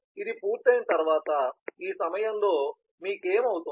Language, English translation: Telugu, and after this has been done, at this point what will you have